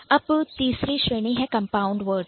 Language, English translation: Hindi, And the third category what we discussed is the compound word